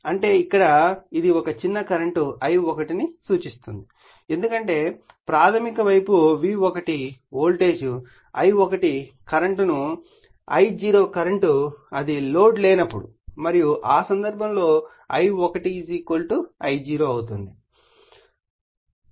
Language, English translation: Telugu, That means, here it will sets up the magnitude suppose a small current here it is showing the I1 because it is primary side you are putting V1 voltage I1 current whenever it is I0 current when it is at no load right and that time I1 = say I0